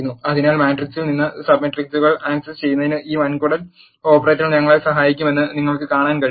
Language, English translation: Malayalam, So, you can see this colon operator is helping us in accessing the sub matrices from the matrix